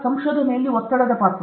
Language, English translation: Kannada, Role of stress in research